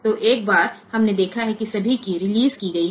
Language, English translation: Hindi, So, once we have seen that all keys are released